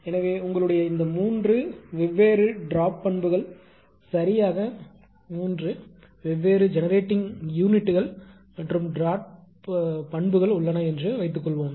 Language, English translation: Tamil, So, suppose there are your these 3 different duke characteristics are there right 3 different generating units and duke characteristics